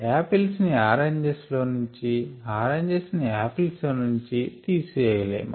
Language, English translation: Telugu, you cannot subtract apples from oranges or oranges from apples